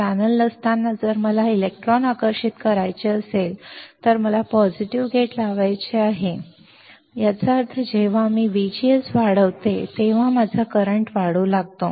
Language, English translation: Marathi, When there is no channel, if I want to attract electron; I have to apply positive gate that is why gate is positive; that means, when I increase V G S my current will start increasing